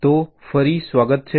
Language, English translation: Gujarati, so welcome back